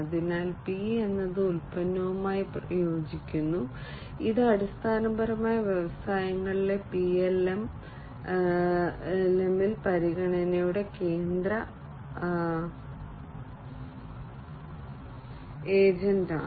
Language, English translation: Malayalam, So, P corresponds to product which is basically the central agent of consideration in PLM in the industries